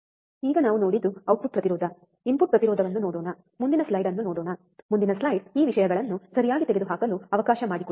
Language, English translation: Kannada, So now let us see the output impedance, input impedance we have seen now let us see the next slide, next slide let me just remove these things ok